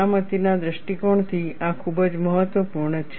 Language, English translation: Gujarati, This is very important from safety point of view